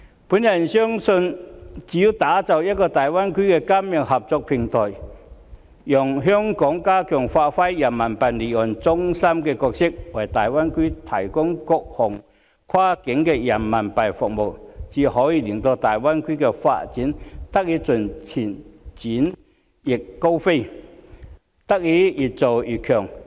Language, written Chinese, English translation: Cantonese, 我相信只有打造一個大灣區的金融合作平台，讓香港加強發揮人民幣離岸中心的角色，為大灣區提供各項跨境人民幣服務，才可以令大灣區的發展得以盡情展翅高飛，越做越強。, I believe it is only through the creation of a platform for financial cooperation in the Greater Bay Area whereby Hong Kong can give better play to its role as an offshore Renminbi RMB business centre and provide various cross - border RMB services in the Greater Bay Area that the Greater Bay Area can spread its wings to the full and soar to new heights to achieve more robust and greater development